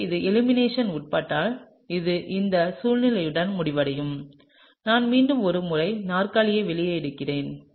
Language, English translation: Tamil, So, if this undergoes elimination then you would end up with situation where you get, let me just draw out the chair once again, okay